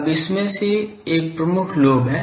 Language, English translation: Hindi, Now, out of that , there is a major lobe